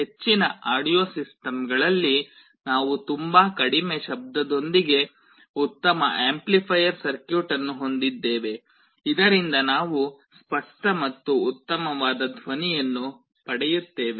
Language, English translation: Kannada, In most audio systems we also have a good amplifier circuit with very low noise so that we get a very clear and nice sound